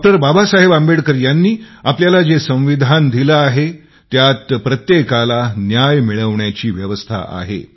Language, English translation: Marathi, Baba Saheb Ambedkar there is every provision for ensuring justice for each and every person